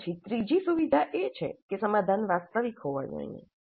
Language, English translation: Gujarati, Then the third feature is that the solution must be realistic